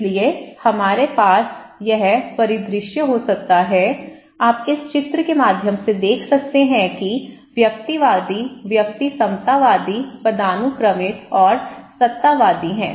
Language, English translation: Hindi, So, we can have this scenario, you can see through this picture that one in individualistic, one is egalitarian, hierarchical and authoritarian